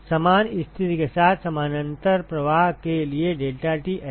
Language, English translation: Hindi, So, you should get exactly the same expression deltaT lmtd